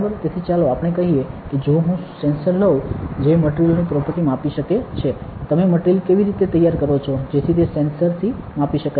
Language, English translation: Gujarati, So, how do you, so let us say if I take a sensor that can measure properties of a material how do you prepare the material, so that it can measure from the sensor